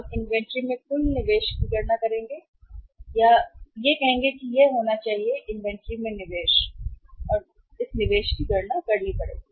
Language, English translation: Hindi, We will have to calculate the total investment in the inventory so this is going to be what that is the investment and investment in the inventory we will have to calculate